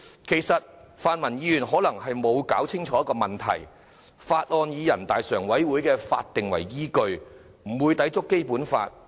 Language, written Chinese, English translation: Cantonese, 其實，泛民議員可能沒有弄清楚一個問題，就是《條例草案》以人大常委會的決定為依據，不會抵觸《基本法》。, As a matter of fact the pan - democratic Members have probably failed to get one point straight the Bill is based on the Decision made by NPCSC and thus will not contravene the Basic Law